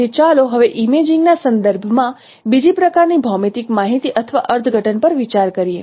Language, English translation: Gujarati, So now let us consider another kind of geometric information or interpretations with respect to imaging